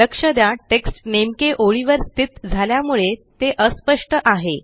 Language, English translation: Marathi, Notice that the text is placed exactly on the line and hence it is not clear